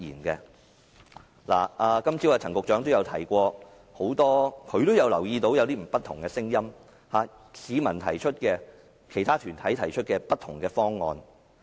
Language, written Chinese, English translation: Cantonese, 今早陳局長也提到，留意到有不同的聲音，市民和其他團體提出的不同方案。, Secretary Frank CHAN also mentioned this morning that he had noticed different voices and various proposals put forward by the public and groups